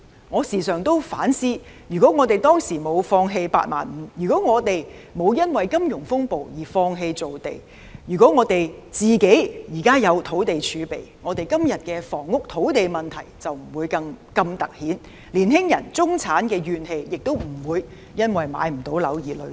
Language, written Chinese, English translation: Cantonese, 我時常反思，如果當年沒有放棄"八萬五"，如果沒有因為金融風暴而放棄造地，如果政府有土地儲備，今天的房屋土地問題便不會如此突顯，年青人、中產亦不會因買不到樓而積累怨氣。, I have thought over and over again that if we had not given up the 85 000 housing construction target during that time if we had not given up on making land because of the financial turmoil and if the Government has land in reserve the land and housing problem would not have grown to be so grave today and the grievances of young people and the middle class who cannot buy a home would not be so strong